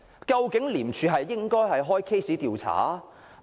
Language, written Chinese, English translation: Cantonese, 究竟廉政公署應否立案調查呢？, Should the Independent Commission Against Corruption ICAC conduct investigation?